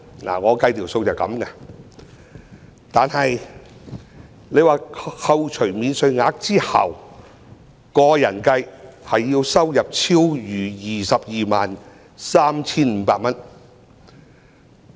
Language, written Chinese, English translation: Cantonese, 我所計算的數字便是這樣，在扣除免稅額後，以個人計算，其收入要超逾 223,500 元。, This is my calculation . After deducting all relevant allowances a person under personal assessment shall have to earn more than 223,500